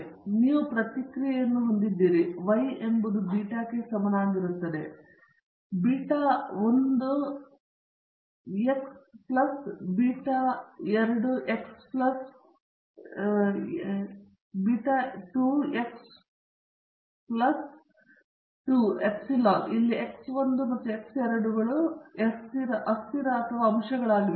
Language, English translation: Kannada, So, you have the process response, y is equal to beta naught plus beta 1 X 1 plus beta 2 X 2 plus epsilon, here X 1 and X 2 are the variables or the factors